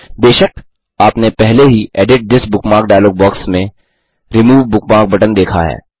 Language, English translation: Hindi, Of course, youve already noticed the Remove bookmark button in the Edit This Bookmark dialog box